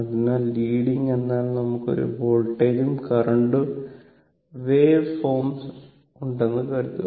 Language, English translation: Malayalam, So, leading means you have a suppose voltage and current waveform